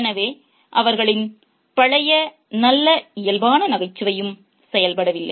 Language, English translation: Tamil, Their good natured humor of old also didn't work out